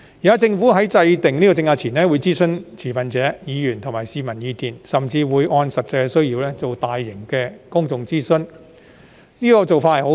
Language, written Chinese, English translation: Cantonese, 現時，政府在制訂政策前會諮詢持份者、議員及市民的意見，甚至會按實際需要，進行大型公眾諮詢，這個做法很好。, At present the Government will consult stakeholders Members and the public before formulating policies and may even conduct large - scale public consultation according to actual needs which is a good practice